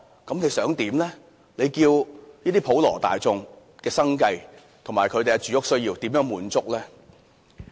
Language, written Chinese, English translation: Cantonese, 怎樣令普羅大眾的生計和住屋需要得到滿足呢？, How can it meet the needs of these people in terms of livelihood and housing?